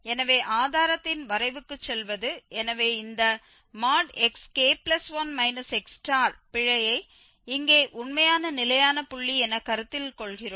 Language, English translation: Tamil, So, going to the sketch of the proof so we consider this error here xk plus 1 minus this xk x star, x star is the actual fixed point